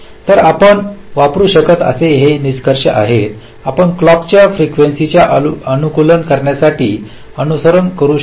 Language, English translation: Marathi, ok, so these are some criteria you can use, you can follow to optimise on the clock frequency